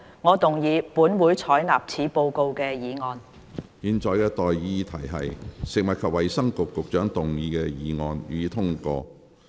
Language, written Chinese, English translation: Cantonese, 我現在向各位提出的待議議題是：食物及衞生局局長動議的議案，予以通過。, I now propose the question to you and that is That the motion moved by the Secretary for Food and Health be passed